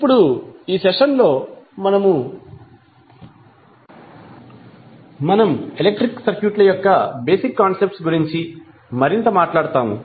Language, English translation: Telugu, Now, in this session we will talk more about the basic concepts of electric circuits